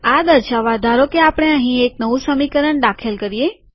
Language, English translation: Gujarati, To demonstrate this, let us suppose, we include an equation here